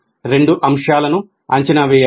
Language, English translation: Telugu, We need to assess both aspects